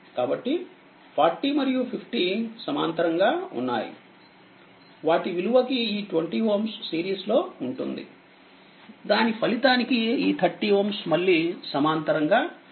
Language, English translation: Telugu, So, I have just put directly that 40 and 50 are in parallel with that 20 is in series and along with that 30 ohm again in parallel